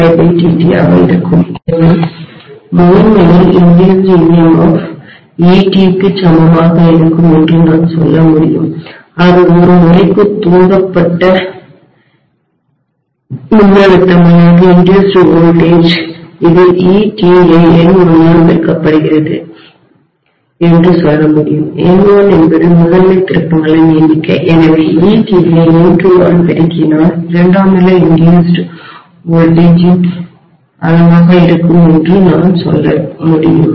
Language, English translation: Tamil, Will be equal to, if I say this is ET that is voltage induced per turn I can just say this is ET multiplied by N1 were N1 is the number of turns in the primary, so I should be able to say ET multiplied by N2 will be the amount of voltage induced in the secondary